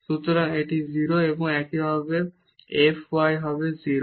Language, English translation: Bengali, So, this is 0 and similarly the f y will be also 0